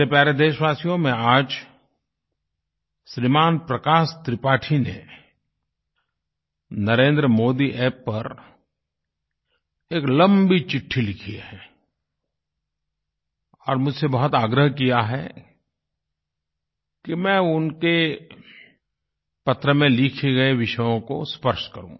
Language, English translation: Hindi, My dear countrymen, Shriman Prakash Tripathi has written a rather long letter on the Narendra Modi App, urging me to touch upon the subjects he has referred to